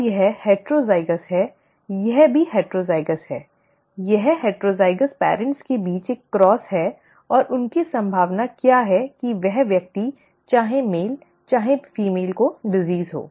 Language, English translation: Hindi, Now this is heterozygous, this is also heterozygous, it is a cross between heterozygous parents and what is their probability that this person, whether male or female would have the disease